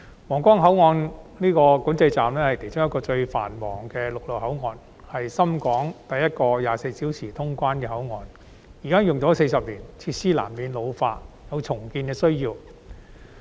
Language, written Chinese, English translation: Cantonese, 皇崗口岸管制站是其中一個最繁忙的陸路口岸，是深港第一個24小時通關的口岸，已經使用40年，設施難免老化，有重建的需要。, The control point at the Huanggang Port is one of the busiest land boundary control point and the first 24 - hour boundary control point between Hong Kong and Shenzhen . Having been in use for four decades its facilities are unavoidably getting time - worn and call for redevelopment